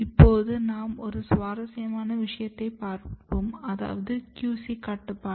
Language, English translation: Tamil, Then coming to the another very interesting thing here is control of QC